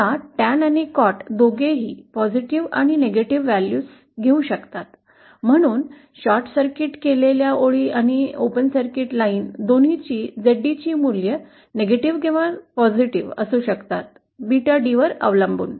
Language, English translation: Marathi, Now tan and cot, both can acquire positive and negative values, therefore the values of ZD for both the short circuited lines and open circuited lines can be negative or positive depending upon the values of Beta D